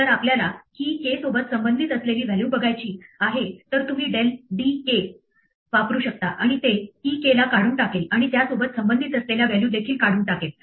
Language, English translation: Marathi, If we want to remove the value associated with the key k then you can del d k and it will remove the key k and whatever values associated with it and removal from it